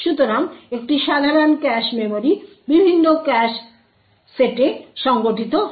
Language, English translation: Bengali, So, a typical cache memory is organized into several cache sets